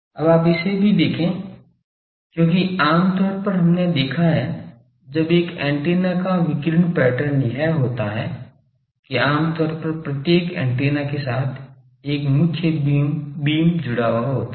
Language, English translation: Hindi, Now you see this also, because generally we have seen when the radiation pattern of an antenna that the there is a main beam generally associated with each antenna